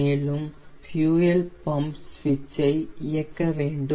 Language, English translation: Tamil, and i will put the fuel pump switch on with the fuel pump switch on